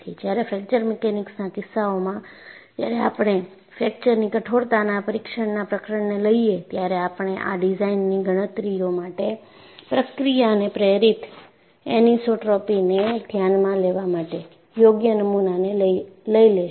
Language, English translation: Gujarati, Whereas, in the case of fracture mechanics, when we take up a chapter on fracture toughness testing, we would take out the specimen appropriately to account for process induced anisotropy in our design calculations